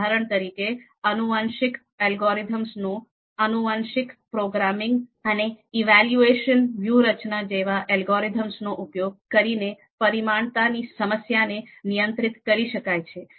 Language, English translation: Gujarati, For example, this curse of dimensionality can be handled using algorithms like genetic algorithm, genetic programming and evolution strategies